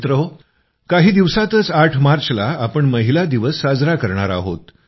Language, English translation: Marathi, Friends, just after a few days on the 8th of March, we will celebrate 'Women's Day'